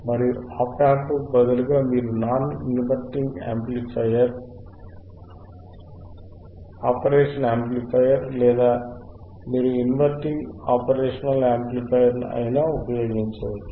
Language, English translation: Telugu, And instead of ian op amp, you can use non inverting operational amplifier or you can use the inverting operational amplifier